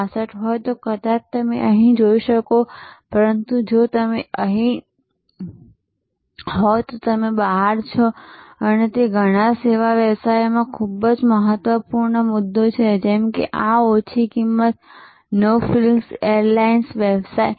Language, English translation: Gujarati, 66 then maybe you can be here, but if you are here then you are out and that is a very important point in many service businesses like for example, this low cost, no frills airlines business